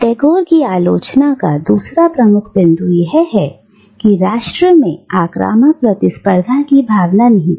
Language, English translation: Hindi, The second major point of Tagore’s criticism is that nation is, or is imbued, with the inherent spirit of aggressive competition